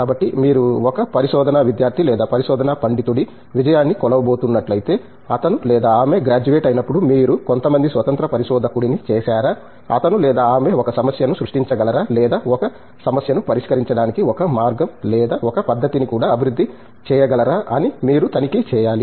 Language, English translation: Telugu, So, if you are going to measure the success of a research student or a research scholar, you should check when he or she graduates whether you have made some independent researcher, whether he or she is able to create a problem and also develop a methodology or a way to solve the problem